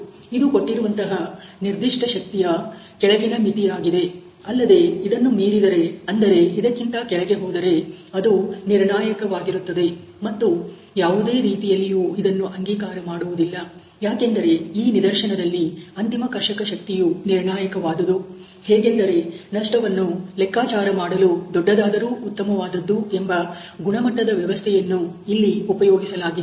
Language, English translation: Kannada, There was lower limit of this particular force which was given that exceeding I mean lowing below which would be a criticality and not be acceptable in any case, and because it is a ultimate tensile tends to be concluded that this could be case where will use the larger the better kind of the quality system to calculate the losses